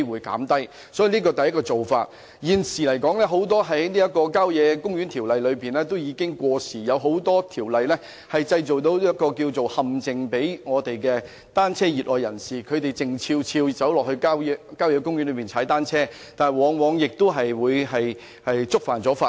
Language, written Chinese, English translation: Cantonese, 這是我想提出的第一種做法，而現時《郊野公園條例》的很多條文已經過時，亦對熱愛踏單車的人士構成陷阱，令他們要悄悄到郊野公園踏單車，但往往會觸犯法例。, This is the first approach that I wish to suggest . And a number of existing provisions of the Country Parks Ordinance which have become obsolete can be a trap for cycling enthusiasts as they have to cycle stealthily in country parks but more often than not they will be caught by the law